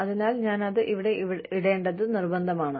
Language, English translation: Malayalam, So, it is imperative that, I put it on here